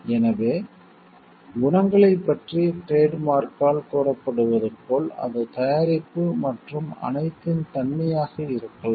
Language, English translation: Tamil, So, as it is claimed by the trademark about the qualities, and it may be the nature of the product and all